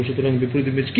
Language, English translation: Bengali, So, that is what inverse imaging is